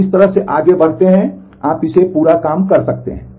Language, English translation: Hindi, You proceed in this way, you can work it out in full